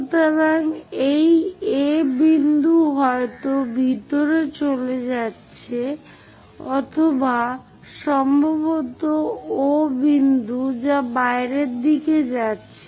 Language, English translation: Bengali, So, this A point perhaps moving either inside or perhaps O point which is going out in the direction outwards